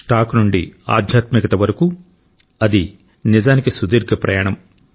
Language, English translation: Telugu, From stocks to spirituality, it has truly been a long journey for him